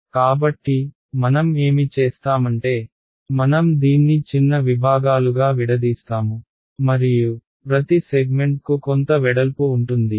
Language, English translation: Telugu, So, what I will do is I will discretize it like this into little segments and let each segment have some width